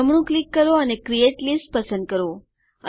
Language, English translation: Gujarati, Right Click and say create List